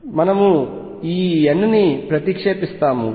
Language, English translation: Telugu, We substitute this n